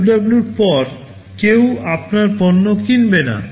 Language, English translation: Bengali, After 2W, no one will be buying your product